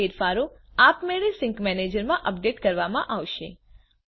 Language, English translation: Gujarati, This changes will be automatically updated in the sync manager